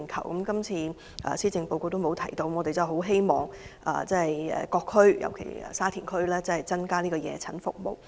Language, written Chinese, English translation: Cantonese, 可是，今次施政報告並沒有提及這方面，我希望政府能增加各區的夜診服務。, Unfortunately the issue is not addressed in the Policy Address . I hope the Government will provide more evening outpatient services in all districts especially in Sha Tin District